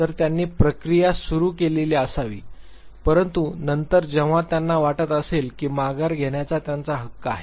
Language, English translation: Marathi, So, they might have started the process, but then whenever they feel they have the right to withdraw